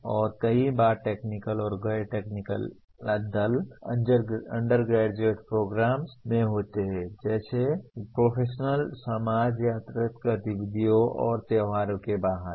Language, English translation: Hindi, And many times semi technical and non technical teams do happen in undergraduate program like professional societies or outside extracurricular activities and festivals